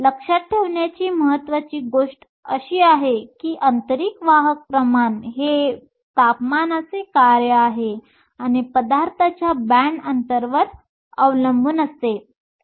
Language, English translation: Marathi, The important thing to remember is that the intrinsic carrier concentration is a function of temperature and depends upon the band gap of the material